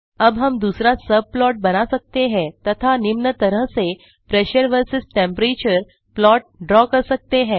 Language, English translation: Hindi, Now we can create first subplot and draw Pressure versus Volume graph using this V